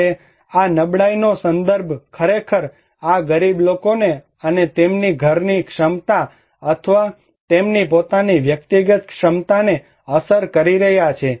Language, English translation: Gujarati, Now, this vulnerability context actually, this is the poor people and is affecting their household capacity or their own individual capacity